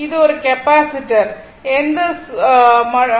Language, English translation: Tamil, It is a capacitor only